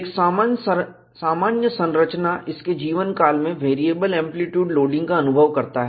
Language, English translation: Hindi, A general structure, over its life time, experiences a variable amplitude loading